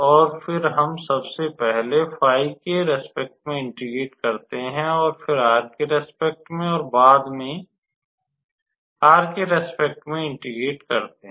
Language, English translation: Hindi, and then we just integrate with respect to phi first, and then with respect to theta, and then with respect to r